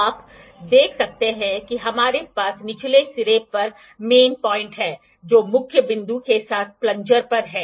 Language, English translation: Hindi, You can see we have the main point at the lower end which is at the plunger with the main point